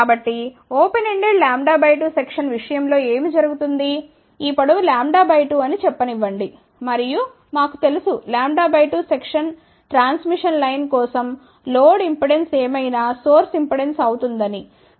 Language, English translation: Telugu, So, in case of open ended lambda by 2 section what will happen, this length will be let us say lambda by 2 and we know that for lambda by 2 section transmission line, whatever is the load impedance will become source impedance